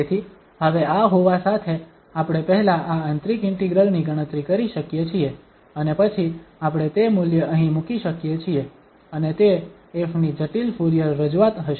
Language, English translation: Gujarati, So, having this now, we can compute this inner integral first and then we can put that value here and that will be the complex Fourier representation of f